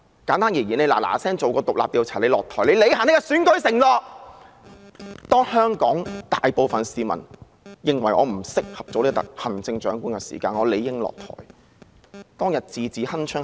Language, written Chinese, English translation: Cantonese, 簡單而言，她應趕緊進行獨立調查，然後下台，履行她的選舉承諾："當香港大部分市民認為我不適合做行政長官時，我理應下台"。, Simply put she should hurriedly conduct an independent inquiry and then step down to honour her election pledge when the majority of people in Hong Kong consider me unfit for the office of Chief Executive I ought to step down